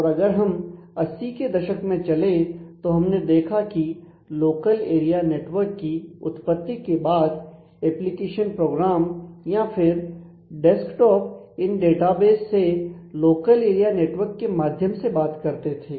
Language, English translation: Hindi, And as we move to the 80s; then we saw the advent of local area networks to application programs or desktop would interact to with the database through these local area networks